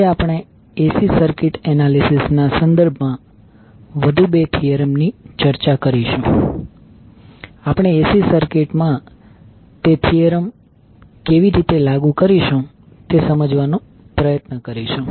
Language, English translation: Gujarati, Today we will discuss about two more theorems which with respect to AC circuit analysis we will try to understand how we will implement those theorems in AC circuits